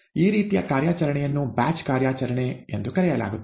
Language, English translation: Kannada, In such an operation, rather such an operation is called a batch operation